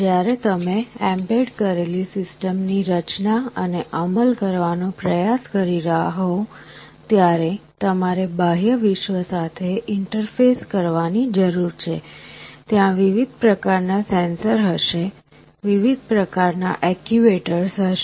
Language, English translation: Gujarati, When you are trying to design and implement an embedded system, you need to interface with the outside world; there will be various kinds of sensors, there will be various kinds of actuators